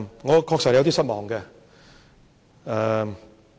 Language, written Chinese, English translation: Cantonese, 我確實有點失望。, I really feel somewhat disappointed